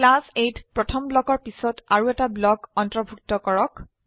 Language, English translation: Assamese, Include one more block after the first one in class A